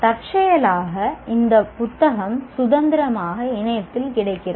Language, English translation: Tamil, And incidentally, even this book is freely available on the internet